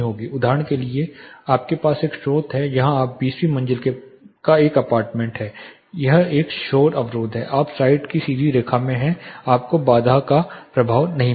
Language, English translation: Hindi, Barrier is not causing say you have a source here you are in an apartment in the 20th floor that is a noise barrier you are in the direct line of site you will not have impact of the barrier